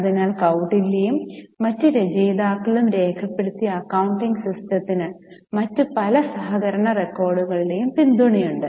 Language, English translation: Malayalam, So, the accounting system which is documented by Kautil and other authors do have support from other various others collaborative record